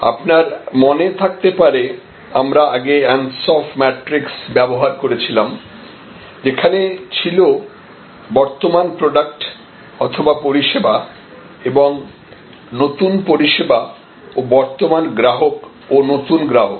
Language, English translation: Bengali, So, you remember that we had used earlier Ansoff matrix which is existing product or existing service and new service and existing customers and new customers